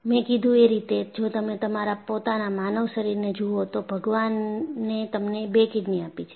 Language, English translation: Gujarati, And I used to mention, if you look at your own human body, God has given you with two kidneys